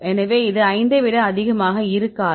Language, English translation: Tamil, So, this not be a not greater than 5